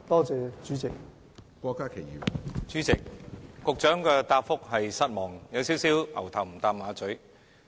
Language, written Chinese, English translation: Cantonese, 主席，局長的答覆"牛頭唔搭馬嘴"，我感到失望。, President I am disappointed that the Secretarys reply has totally missed the point